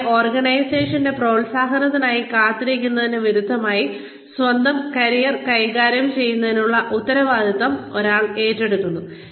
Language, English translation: Malayalam, And, one takes on the responsibility, for managing one's own career, as opposed to, waiting for the organization, to promote us